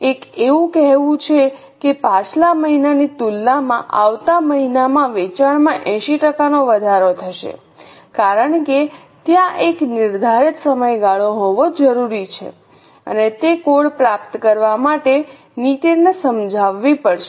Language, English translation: Gujarati, One has to say that the sales will increase by 80% in coming month in comparison to last month because there has to be a defined period of time and a policy persuaded to achieve that goal